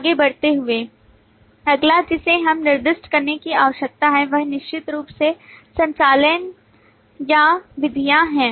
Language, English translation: Hindi, Moving on, the next that we need to specify is certainly operations or methods